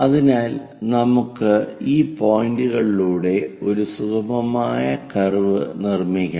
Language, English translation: Malayalam, So, let us join these points through a smooth curve